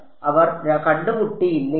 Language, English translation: Malayalam, Even if they do not meet up